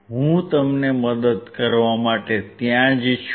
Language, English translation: Gujarati, I am there to help you out